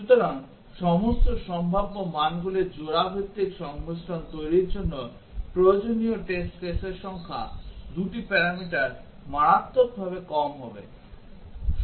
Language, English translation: Bengali, So, the number of test cases required to generate pair wise combination of all possible values, 2 parameters will be drastically less